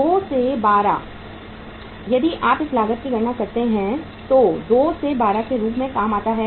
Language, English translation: Hindi, 2 by 12 if you calculate this cost works out as 2 by 12